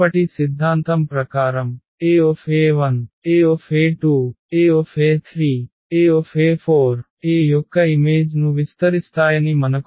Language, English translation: Telugu, Then as per the previous theorem, we know that Ae 1, Ae 2, Ae 3, Ae 4 will span the image of A